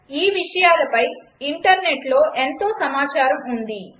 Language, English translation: Telugu, There is a lot of information on these topics in Internet